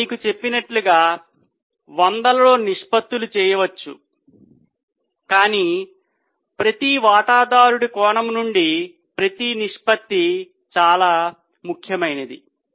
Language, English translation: Telugu, As I told you, one can calculate hundreds of ratios, but each ratio from each stakeholder's angle is very important